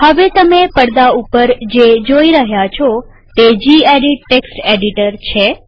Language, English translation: Gujarati, So what you see right now on screen is the gedit Text Editor